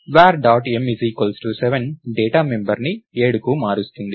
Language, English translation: Telugu, Var dot m is 7 will change the data member to 7